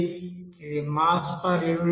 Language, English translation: Telugu, That is mass that is per unit time